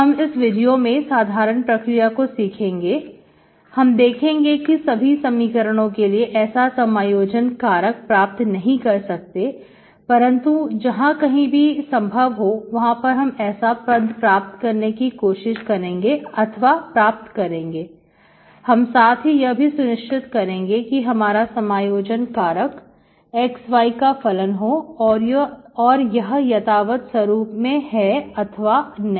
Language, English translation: Hindi, We will see the general procedure in this video and, we will see, not all the equations you can get such integrating factors, so whenever it is possible, so you, so you will give an expressions that are to be checked whether you will get integrating factor of function of xy is exact form or not